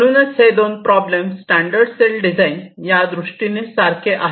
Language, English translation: Marathi, ok, so the two problems are the same in case of standard cell design